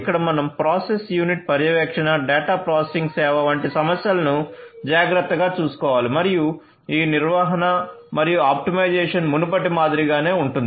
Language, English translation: Telugu, So, here we have to take care of issues such as process unit monitoring, data processing service and again this management and optimization stays the same like the ones before